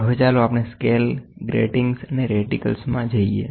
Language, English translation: Gujarati, So now let us get into Scales, Gratings and Reticles